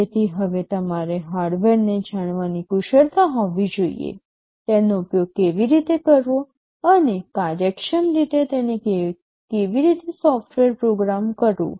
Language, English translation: Gujarati, So, now you need to have the expertise of knowing the hardware, how to use it and also software how to program it in an efficient way